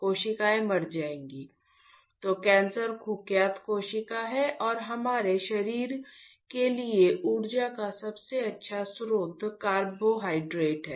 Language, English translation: Hindi, Cells will die ; so, cancer are notorious cells and the best source of energy for our body is carbohydrates, carbohydrates